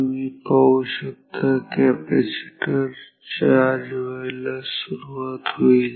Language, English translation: Marathi, So, you see the capacitor is starting